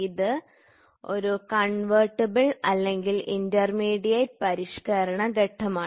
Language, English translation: Malayalam, So, this is a convertible or intermediate modifying stage